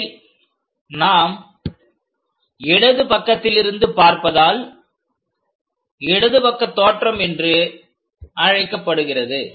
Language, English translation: Tamil, And we are looking from left side so, it is called left side view